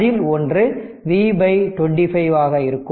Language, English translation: Tamil, So, here it is V by 25